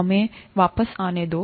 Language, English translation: Hindi, Let us get back